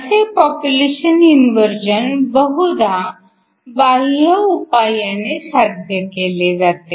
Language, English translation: Marathi, This population inversion is usually achieved by external means